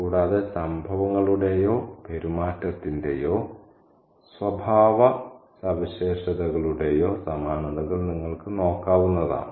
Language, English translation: Malayalam, And you can also look for similarities, similarities in terms of events or in terms of behavior or in terms of characterizations